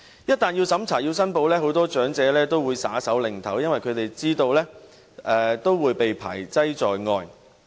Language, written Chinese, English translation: Cantonese, 一旦要審查、要申報，很多長者也會"耍手擰頭"，因為他們知道會被排擠在外。, Many elderly will shake their heads and say no to allowances requiring a means test and declaration for they know they will be screened out